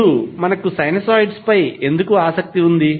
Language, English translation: Telugu, Now, why we are interested in sinusoids